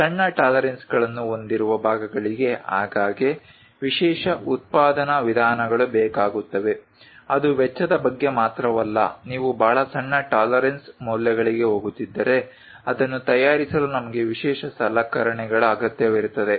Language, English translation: Kannada, Parts with smaller tolerances often require special methods of manufacturing, its not only about cost if you are going for very small tolerance values to prepare that itself we require special equipment